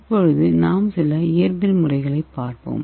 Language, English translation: Tamil, So let us see physical methods